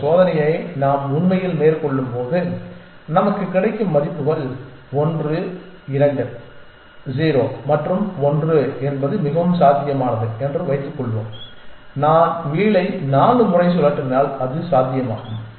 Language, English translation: Tamil, And let us assume that when we actually carryout this experiment the values that we get are 1 2 0 and 1 its quite feasible, it is quite possible that if I will spin the wheel 4 times